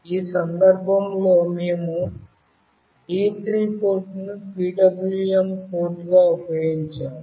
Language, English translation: Telugu, In this case we have used D3 port as the PWM port